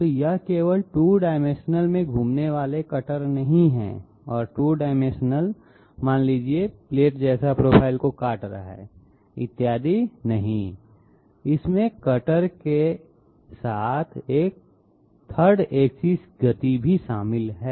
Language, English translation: Hindi, So it is not simply the cutter moving around in 2 dimensions and cutting out some two dimensional profile out of some say plate like material, et cetera, no, it involves simultaneous 3 axis motion of the cutter